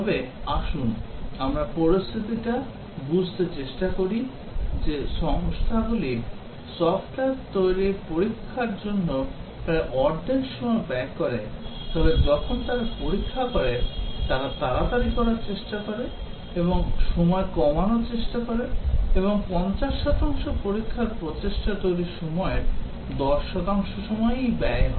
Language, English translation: Bengali, But then let us just try to understand the situation that companies spend about half the time testing the software, but then when they test, they try hurry up, they try to reduce the time and the 50 percent test effort is spent in 10 percent of the time, development time